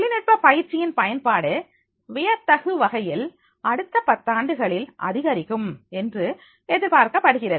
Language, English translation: Tamil, The use of training technology is expected to increase dramatically in the next decade